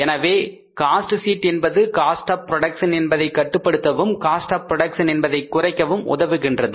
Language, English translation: Tamil, So cost sheet helps us in controlling the cost of production, in reducing the cost of production